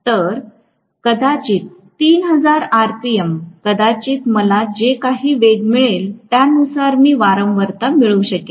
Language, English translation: Marathi, So, maybe 3000 rpm, maybe whatever is the speed according to which I am going to get the frequency